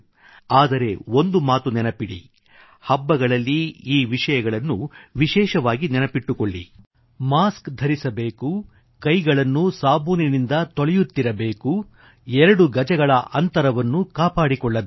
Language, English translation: Kannada, However, do remember and more so during the festivals wear your masks, keep washing your hands with soap and maintain two yards of social distance